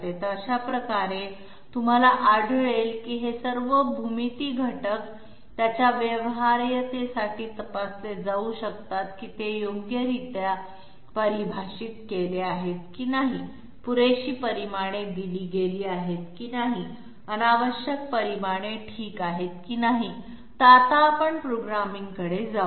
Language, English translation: Marathi, So this way you will find, all these geometry elements can be checked for their feasibility whether they are properly define or not, whether adequate dimensions have been given, whether redundant dimensions has been given okay, so let us go for the programming